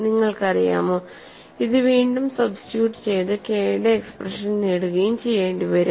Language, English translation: Malayalam, You know, this you will have to substitute it back and get the expression for K